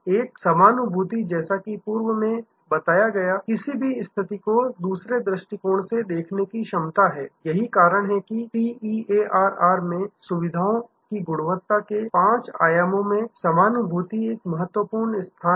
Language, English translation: Hindi, An empathy as a discussed is the ability to see the situation from the other perspective; that is why in the TEARR, the five dimensions of service quality empathy occupy such an important place